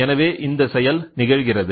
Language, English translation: Tamil, So, here what happens